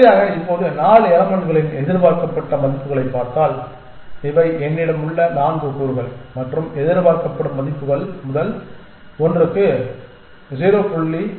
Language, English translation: Tamil, Exactly now, if you look at the expected values of these 4 elements, these are the 4 elements I have and the expected values are 0